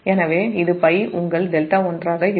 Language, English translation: Tamil, so it will be pi minus your delta one